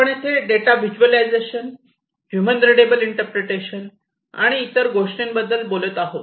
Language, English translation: Marathi, So, here we are talking about data visualization, human readable interpretation, and so on